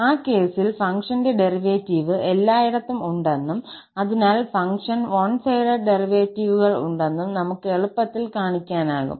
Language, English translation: Malayalam, In that case, we can easily show that the derivative of the function exist everywhere and thus the function has one sided derivatives